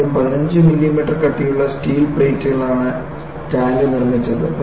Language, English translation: Malayalam, First thing is, the tank was made of 15 millimeter thick steel plates